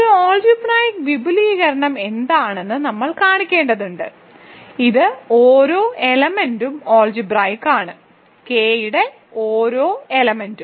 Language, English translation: Malayalam, So, we need to show that, what is an algebraic extension, it is an extension that every element is algebraic we need to show that every element of K is algebraic over F